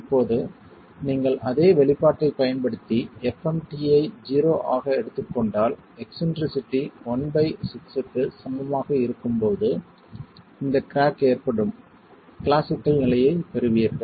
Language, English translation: Tamil, Now if you use the same expression and take FMT to 0, then you get the classical condition where this cracking is occurring when eccentricity is equal to L by 6